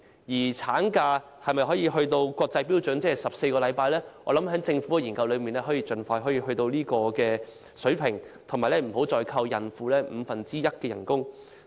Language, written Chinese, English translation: Cantonese, 至於產假能否追上14星期的國際標準，我希望政府可以進行研究，盡快達到這個水平，而且不要再扣減孕婦五分之一的工資。, As for the issue of whether Hong Kong can catch up with the international standard of 14 - week maternity leave I hope the Government can conduct studies with a view to meeting this standard . Moreover pregnant women should no longer have one fifth of their wages deducted